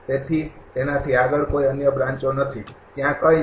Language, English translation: Gujarati, So, beyond that there is no other branches nothing is there